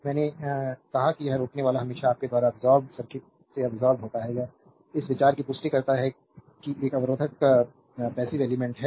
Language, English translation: Hindi, I told you thus a resistor always your absorbed power from the circuit it absorbed, right this confirms the idea that a resistor is passive element